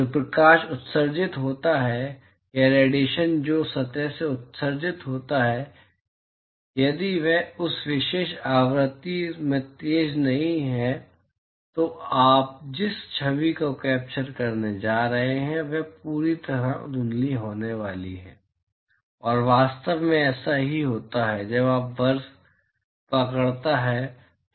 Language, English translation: Hindi, So, the light that is emitted or the radiation that is emitted by the surface if that is not sharp in that particular frequency then the image that you are going to capture is going to be completely blurred and in fact that is exactly what happens when you captures snow